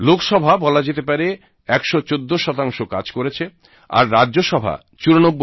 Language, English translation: Bengali, Lok sabha's productivity stands at 114%, while that of Rajya Sabha is 94%